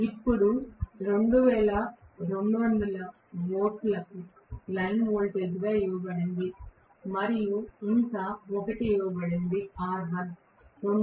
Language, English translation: Telugu, Now, 2200 volts is given as the line voltage and 1 more things that is given is r1 is given as 2